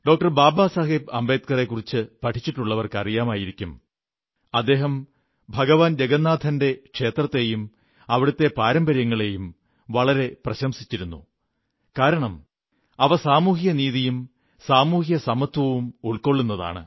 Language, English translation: Malayalam, Baba Saheb Ambedkar, would have observed that he had wholeheartedly praised the Lord Jagannath temple and its traditions, since, social justice and social equality were inherent to these